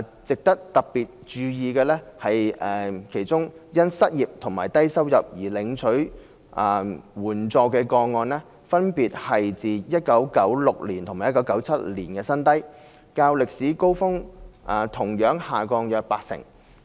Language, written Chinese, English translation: Cantonese, 值得特別注意的是，其中因失業和低收入而領取援助的個案分別是自1996年和1997年的新低，較歷史高峰同樣下降約八成。, It is particularly noteworthy that the number of unemployment and low income cases were the lowest since 1996 and 1997 respectively . The two registered an 80 % decrease as compared with their respective historic peaks